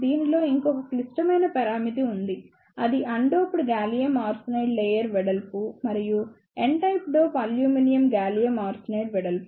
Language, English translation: Telugu, There is one more critical parameter in this that is the undoped gallium arsenide layer with and the n type dope aluminium gallium arsenide width